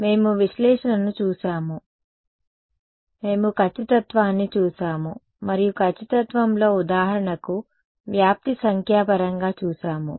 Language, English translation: Telugu, So, we looked at analysis, we looked at accuracy and in accuracy we looked at for example, dispersion numerical